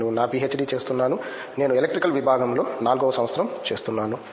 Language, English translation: Telugu, I am doing my PhD; I am in my 4th year I am from Electrical Department